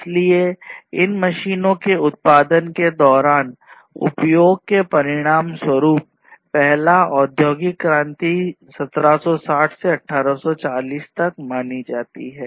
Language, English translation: Hindi, So, this basically resulted in the utilization of machines in production, so that was the first industrial revolution in the 1760s to 1840s